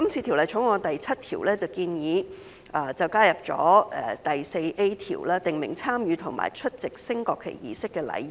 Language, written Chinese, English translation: Cantonese, 《條例草案》第7條建議加入第 4A 條，訂明參與或出席升國旗儀式的禮儀。, Clause 7 of the Bill proposes to add section 4A to stipulate the etiquette for taking part in or attending a national flag raising ceremony